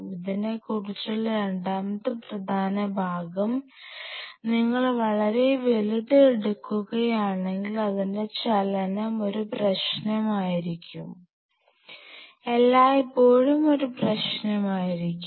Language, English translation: Malayalam, Second important part about this is that if you take a very big one then its movement will be an issue, will be always an issue